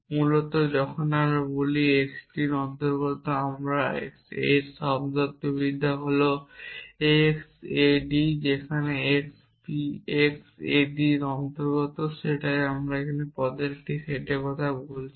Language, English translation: Bengali, Basically when we say x belongs to t we the semantics of that is that x A belongs D were x belongs to v x A belongs D that is what we are saying a set of terms